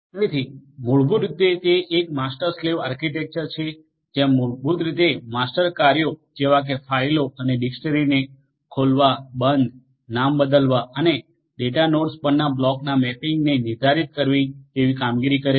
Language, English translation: Gujarati, So, basically it is a master slave architecture, where basically the master executes the operations like opening, closing, the renaming the files and dictionaries and determines the mapping of the blocks to the data nodes